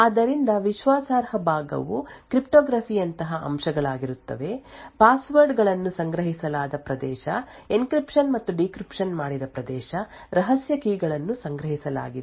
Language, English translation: Kannada, So, the trusted part would be aspects such as cryptography, whether a region where passwords are stored, a region where encryption and decryption is done, secret keys are stored and so on